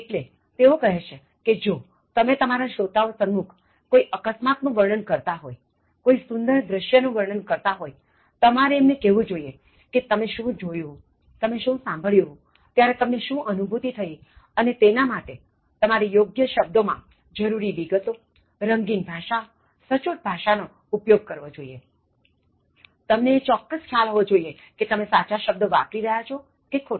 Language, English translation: Gujarati, So, he says that you need to make your audience suppose you are reporting something, you are reporting an accident, you are reporting a beautiful scenery, you have to tell them what you saw, what you heard, how you felt during that one, to do that, you need to give the relevant detail in very appropriate words, colorful language, to do that you need to be precise, you need to exactly know whether you are using the right word or the wrong word